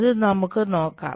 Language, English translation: Malayalam, Think about it